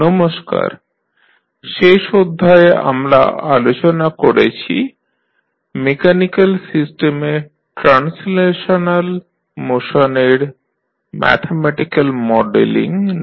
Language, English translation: Bengali, In last class we discussed about the mathematical modelling of translational motion of mechanical system